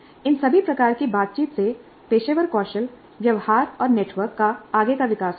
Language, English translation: Hindi, All these kinds of interactions, they lead to the development of further professional skills, behaviors and networks